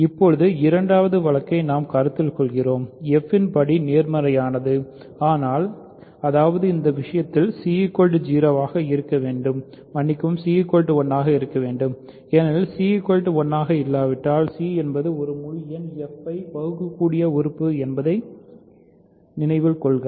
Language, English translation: Tamil, So, now we consider the second case, degree of f is positive, but; that means, in this case c must be 0 sorry c must be 1 because if c is not 1, remember c is an integer f is irreducible